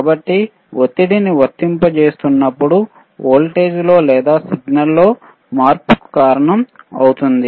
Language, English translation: Telugu, So, applying pressure will change will cause a change in the change in the voltage or change in the signal ok